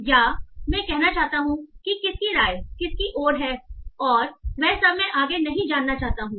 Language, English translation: Hindi, Or I want to say who is having the opinion towards whom and that's all